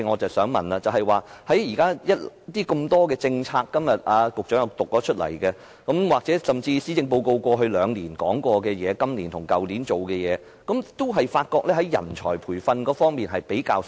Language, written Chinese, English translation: Cantonese, 儘管局長今天讀出多項政策，甚至過去兩年的施政報告亦提到今年和去年已進行各項工作，但我發覺在人才培訓方面的工作比較少。, Although the Secretary has read out various policies today and even though the policy addresses of the previous two years also mentioned that various tasks had been carried out this year and last I have noticed that little work has been done in manpower training